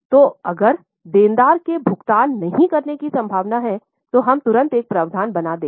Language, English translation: Hindi, So, any customer, any debtor, if is likely to not pay, we will immediately make a provision